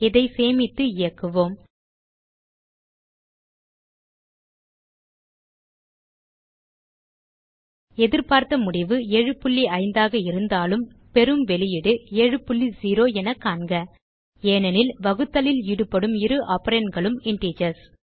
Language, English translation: Tamil, Note that although the expected result is 7.5, we get output as 7.0 This is because both the operands involved in the division are integers